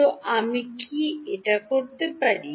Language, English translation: Bengali, So, can I do that